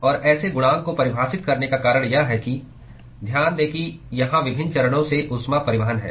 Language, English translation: Hindi, And the reason for defining such a coefficient is that note that here is heat transport across different phases